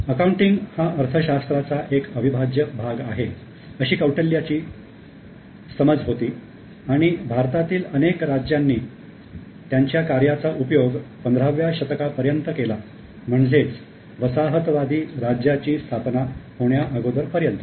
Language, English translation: Marathi, He considered accounting to be integral part of economics and various kingdoms in India used his work until the 15th century before the advent of colonial rule